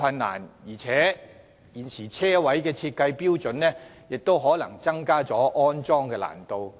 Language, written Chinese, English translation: Cantonese, 再者，現時的車位設計標準亦可能增加了安裝的難度。, Moreover the current design standards for car parking spaces may have also rendered it more difficult to install such facilities